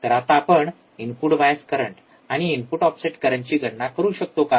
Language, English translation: Marathi, Can you now calculate input bias current and input offset current